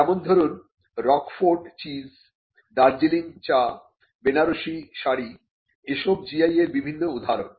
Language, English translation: Bengali, For instance, Roquefort cheese, Darjeeling tea, Banaras saree are different examples of the GI